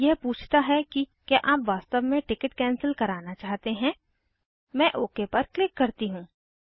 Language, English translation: Hindi, Now it says Are you sure you want to cancel the E ticket I say okay